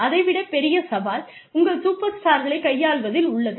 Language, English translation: Tamil, I mean, but the larger challenge, lies in dealing with your superstars